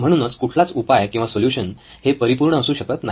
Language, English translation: Marathi, So no solution is perfect